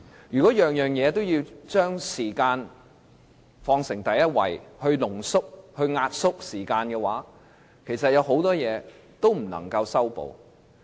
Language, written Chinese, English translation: Cantonese, 如果每件事情都要將時間放在第一位，把它濃縮及壓縮，其實會令很多事情都不能修補。, If minimizing time is to be made the top priority for doing everything many problems will actually never get resolved